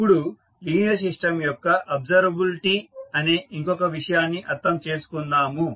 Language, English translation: Telugu, Now, let us understand another concept called observability of the linear system